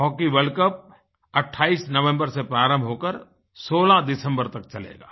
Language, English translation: Hindi, The Hockey World Cup will commence on the 28th November to be concluded on the 16th December